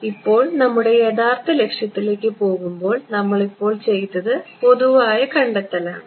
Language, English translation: Malayalam, So, now, proceeding further towards our actual objective, what we did right now was the general derivation